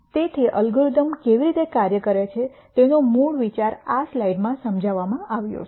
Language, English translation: Gujarati, So, the basic idea of how these algorithms work is explained in this slide